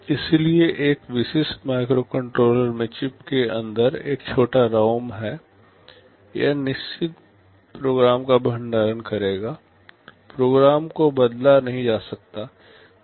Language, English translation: Hindi, So, in a typical microcontroller there is a small ROM inside the chip, this will be storing the fixed program, the program cannot be changed